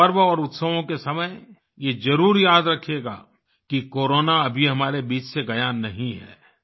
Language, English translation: Hindi, At the time of festivals and celebrations, you must remember that Corona has not yet gone from amongst us